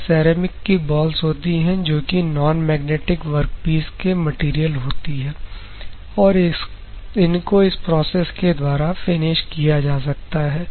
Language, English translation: Hindi, These are the ceramic balls which are non magnetic work piece materials, and this can be finished using this particular process